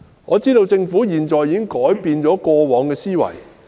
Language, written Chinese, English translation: Cantonese, 我知道政府現在已改變過往的思維。, As far as I know the Government has already changed its previous mindset